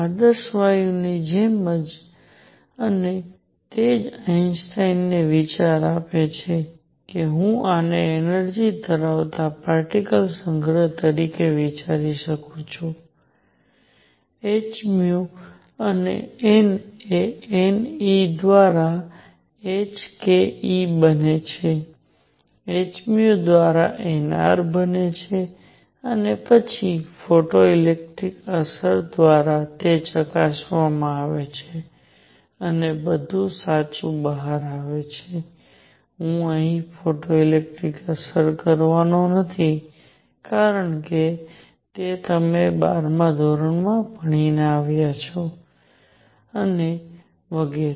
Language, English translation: Gujarati, Just like ideal gas and that is what gives Einstein the idea that I can think of this as a collection of particles with each having energy h nu and n becomes n E by h k E by h nu becomes n R and then through photoelectric effect, it is checked and everything comes out to be correct, I am not going to do photoelectric effect here because you studied it many many times in your 12th grade and so on